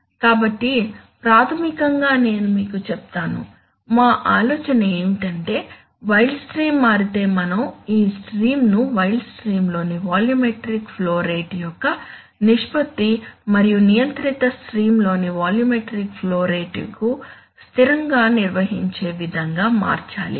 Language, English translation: Telugu, So basically I will tell you, our idea is that if the wild stream changes, we must change this stream in such a manner that the ratio of the volumetric flow rate in the wild stream and the volumetric flow rate in the controlled stream are maintained as constant, right